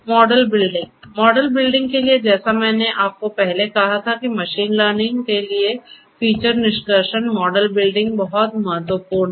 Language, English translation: Hindi, Model building: for model building, so, I told you earlier that for machine learning after feature extraction model building is very important